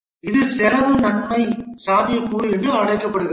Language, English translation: Tamil, This is also called as the cost benefit feasibility